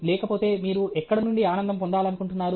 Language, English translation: Telugu, where do you want to get happiness from otherwise